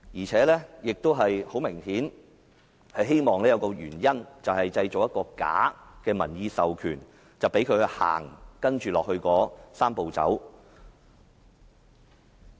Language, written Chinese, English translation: Cantonese, 此外，很明顯，政府是希望製造一個假的民意授權，以便推展"三步走"。, It is obvious that the Government is trying to create a bogus public mandate so as to take forward the Three - step Process